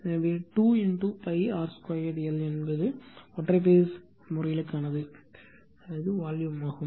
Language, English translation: Tamil, So, 2 into pi r square l right that is for the single phase case, this is the volume